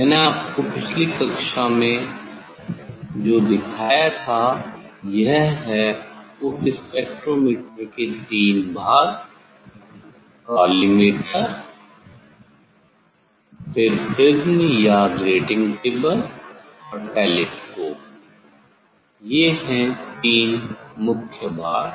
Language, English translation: Hindi, what I have showed in last class; this as I showed you that three components in this spectrometers: collimators then prism or grating table and telescope; this is the three main components